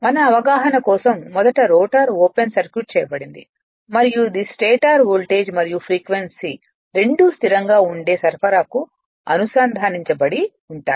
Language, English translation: Telugu, First for our understanding you assume the rotor is open circuited and it and stator it is connected to a supply where voltage and frequency both are constant right